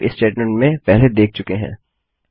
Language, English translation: Hindi, Weve seen this in the IF statement before